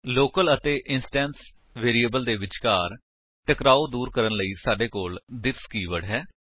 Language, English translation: Punjabi, To avoid conflict between local and instance variables we use this keyword